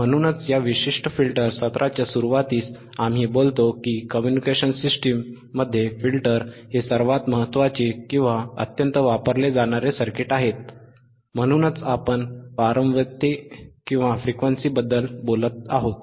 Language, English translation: Marathi, That is why, at the starting of this particular filter session, we talked that filters are the most important or highly used circuits in the communication systems, right